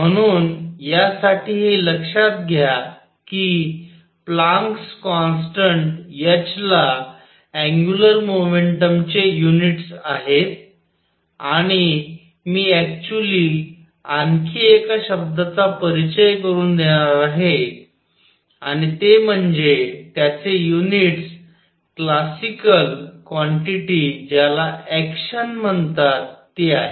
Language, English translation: Marathi, So, for this observe that the Planck’s constant h has units of angular momentum, and I am actually going to introduce one more word and that is it has units of a classical quantity called action